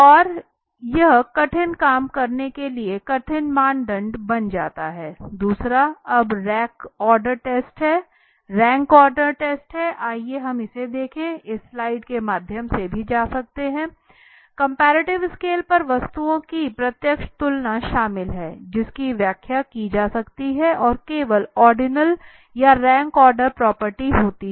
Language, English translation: Hindi, And that becomes our tough criteria to tough job to do okay second is the rank order test let us look at it from may be go through this slides also comparative scales involvers the direct comparison of the stimulus objects right which can be interpreted in relative terms and have only ordinal or rank order properties thus non metric okay comparative scales